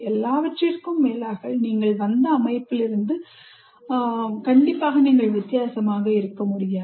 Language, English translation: Tamil, After all, you can't be very much different from the system from which they have come